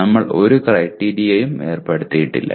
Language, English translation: Malayalam, We have not put any criteria